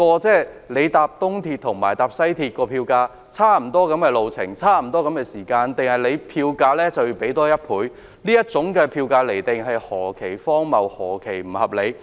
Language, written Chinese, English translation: Cantonese, 就東鐵綫及西鐵綫的票價，雖然路程和時間相若，車費卻相差1倍，這種釐定票價的方式是何其荒謬和不合理！, Regarding the fares of EAL and WRL the latter is doubled although the distance and time involved are more or less the same . How ridiculous and unreasonable is the way adopted for determining the fares!